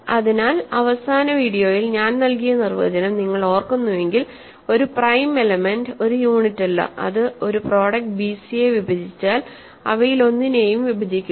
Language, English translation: Malayalam, So, a prime element if you recall the definition I gave in the last video, a prime element is not a unit and if it divides a product bc, it divides one of them